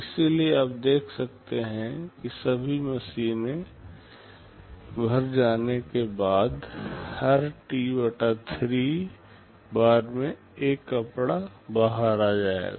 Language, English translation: Hindi, So, you see after all the machines are all filled up, every T/3 time one cloth will be coming out